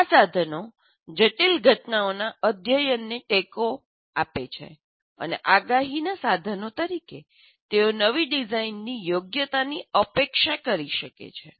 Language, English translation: Gujarati, And these tools support the study of complex phenomena and as a predictive tools they can anticipate the suitability of a new design